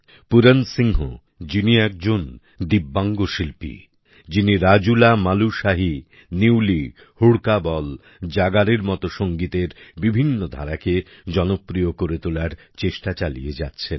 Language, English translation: Bengali, Pooran Singh is a Divyang Artist, who is popularizing various Music Forms such as RajulaMalushahi, Nyuli, Hudka Bol, Jagar